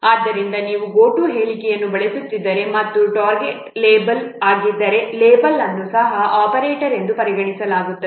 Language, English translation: Kannada, So if you are using a go to statement and the target is a label, then also level is considered as an operator